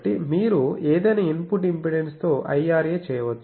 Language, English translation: Telugu, So, you can make IRA with any input impedance